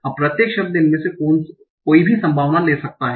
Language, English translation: Hindi, Now each word can take any of these possibilities